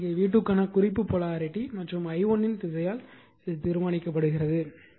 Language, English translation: Tamil, So, here it is that is why written determined by the reference polarity for v 2 and direction of i1